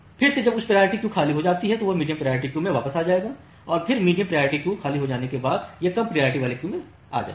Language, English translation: Hindi, Again when the high priority queue becomes empty it will come to the medium priority queue and then once the medium priority queue becomes empty it will come to the low priority queue